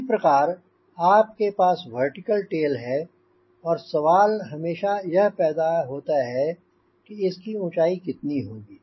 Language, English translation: Hindi, similarly, you have got vertical tail and question always comes how high the vertical tail should be flight